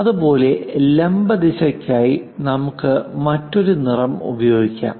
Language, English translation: Malayalam, Similarly, for the vertical direction let us use other color